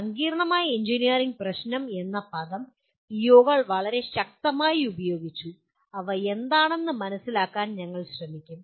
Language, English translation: Malayalam, The word complex engineering problem has been very strongly used by the POs we will make an attempt to understand what they are